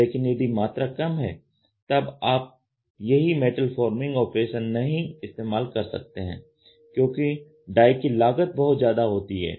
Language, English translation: Hindi, But, if the quantities are literal you cannot use the same metal forming techniques here because the die cost is pretty expensive ok